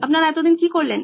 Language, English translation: Bengali, What is going on